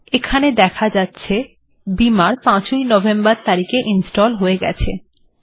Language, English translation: Bengali, Scroll down to Beamer and you can see that it got installed on 5th of November